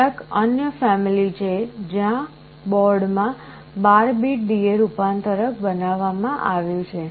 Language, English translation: Gujarati, There are some other families like where a 12 bit D/A converter is built into the board